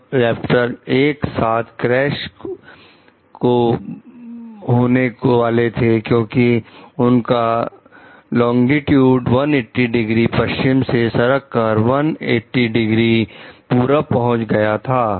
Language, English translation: Hindi, These Raptors suffered simultaneous total nav console crashes as their longitudes shifted from 180 degree west to 180 degree east